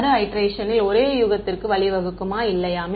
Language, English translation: Tamil, Will the iterations lead to the same guess or not